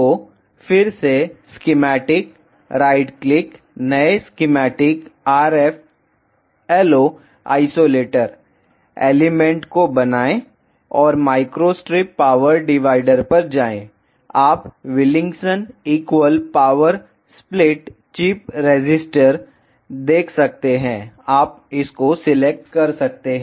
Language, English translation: Hindi, So, again schematics, right click, new schematic RFLO isolator, create and go to elements Microstrip power divider, you can see Wilkinson Equal Power Split chip resistor, you can select this